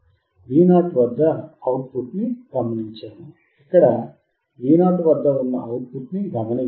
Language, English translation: Telugu, We will see observe the output at Vo we have to observe the output which is at here Vo